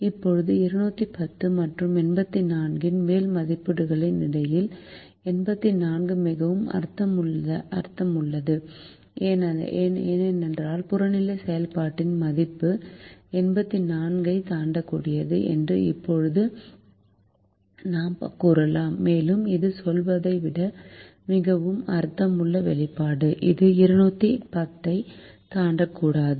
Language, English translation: Tamil, now, between the upper estimates of two hundred and ten and eighty four, eighty four is more meaningful because we can now say that the value of the objective function cannot exceed eighty four, and that's a more meaningful expression, rather than saying it cannot exceed two hundred and ten